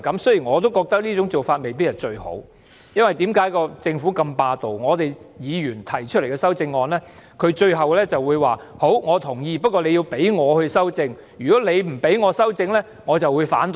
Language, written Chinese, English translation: Cantonese, 雖然我認為這種做法未必最好，因為政府很霸道，對於議員提出的修正案，政府即使表示同意，但也要經政府修正，否則便會反對。, This may not be the best approach because the Government has been very dogmatic . Even if the Government agrees with a Members CSA it has to take it as its amendment; otherwise the Government will oppose it